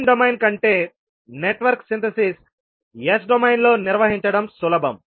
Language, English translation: Telugu, So Network Synthesis is easier to carry out in the s domain than in the time domain